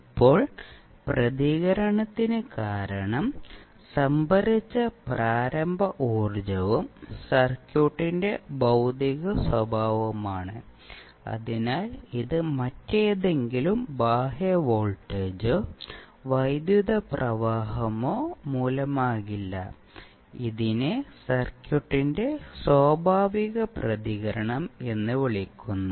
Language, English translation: Malayalam, Now, since, the response is due to the initial energy stored and physical characteristic of the circuit so, this will not be due to any other external voltage or currents source this is simply, termed as natural response of the circuit